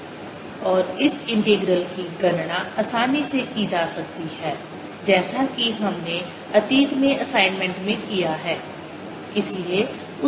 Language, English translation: Hindi, and this integral can be easily calculated as we're done in the assignment in the past